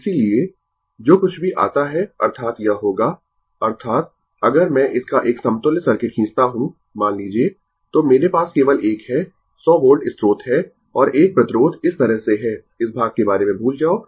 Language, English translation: Hindi, Therefore, whatever it comes; that means, it will be ; that means, if I draw the equivalent circuit of this one, suppose, then I have only one , your 100 volt source and one resistance is like this, forget about this part